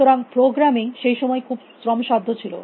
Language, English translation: Bengali, So, programming was very pain sticking in those days